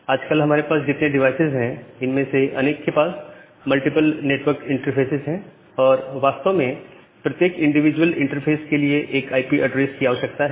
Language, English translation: Hindi, Many of the devices that we have nowadays, they have multiple network interfaces and actually we require one IP address for every individual interfaces